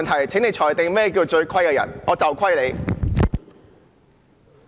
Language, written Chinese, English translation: Cantonese, 請你裁定何謂"最虧的人"？, Please make a ruling on the meaning of the most out - of - order people